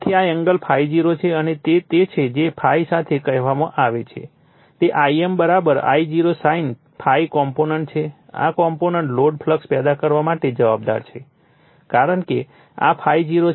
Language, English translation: Gujarati, So, this angle is ∅0 and it is your what your call component along ∅ is I m = your I0 sin ∅, this component is responsible for producing that your no load flux because this is ∅0